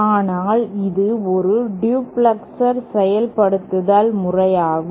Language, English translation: Tamil, So, this is a duplexer implementation